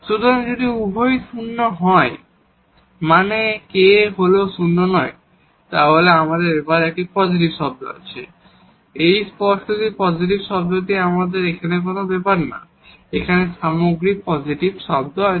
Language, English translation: Bengali, So, if both are non zero means this k is non zero, then we have a positive term here this strictly positive term; does not matter what is this term here, we have the overall positive number here